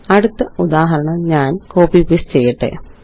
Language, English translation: Malayalam, Let me copy and paste the next example